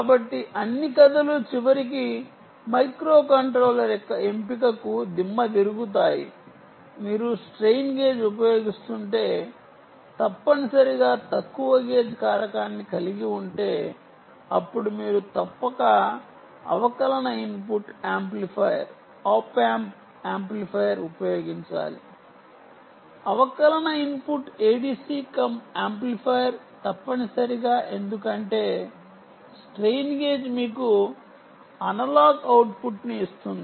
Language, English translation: Telugu, the choice of the microcontroller will essentially mean if you are using a strain gage and if the strain gage has a gage factor which is ah low, then you must use, you must use a differential input amplifier, op amp amplifier, for instance, differential input a d c cum amplifier